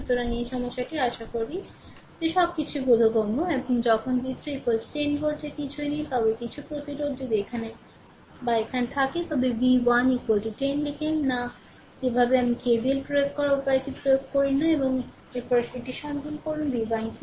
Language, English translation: Bengali, So, this problem this problem hope everything is understandable to you and when nothing is there v 3 is equal to 10 volt, but if some resistance is here or here, that do not write v 1 is equal to 10 never write you apply the way I showed you apply KVL and then you find out what is v 1 right